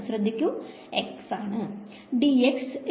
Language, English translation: Malayalam, So, x equal to 1, y is equal to 1